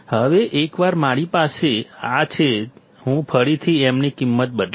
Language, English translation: Gujarati, Now, once I have this, I will again substitute value of m